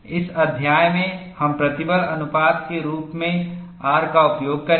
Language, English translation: Hindi, In this chapter, we would use R as stress ratio